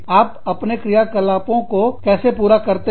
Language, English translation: Hindi, How do you carry out, your operations